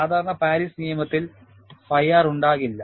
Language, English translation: Malayalam, Normal Paris law would not have phi R